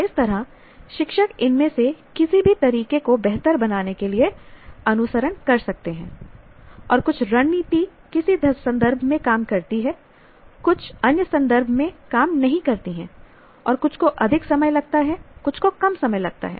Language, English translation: Hindi, So, this is how one can, teacher can follow any of these methods to improve and also some strategies work in some context, some do not work in other contexts and some take more time, some take less time